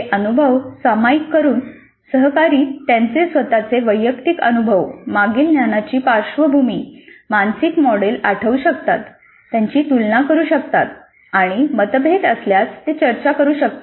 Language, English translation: Marathi, So by sharing these experiences, the peers can recall their own individual experiences, their own previous knowledge background, their own mental models, compare them and if there are differences they can discuss